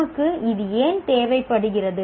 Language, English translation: Tamil, Why do we require this